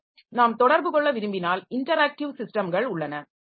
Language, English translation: Tamil, So, if we want to have interactions then we have got interactive systems